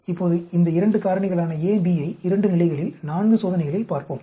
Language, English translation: Tamil, Now let us look at this 2 factors A B at 2 levels, 4 experiments